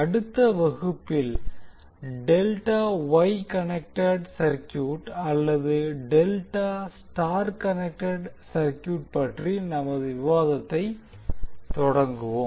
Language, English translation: Tamil, So in the next lecture we will start our discussion with the delta Wye connected circuit or delta star connected circuit